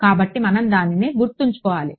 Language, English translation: Telugu, So, we have to keep in mind that